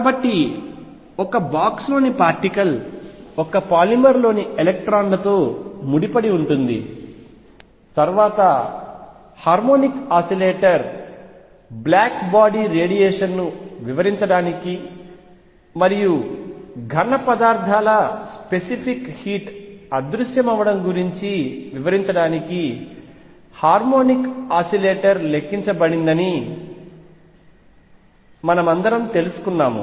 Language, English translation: Telugu, So, particle in a box was associated with electrons in a polymer then harmonic oscillator we have all learned that initially harmonic oscillator was quantized to explain black body radiation and also to explain the vanishing of specific heat of solids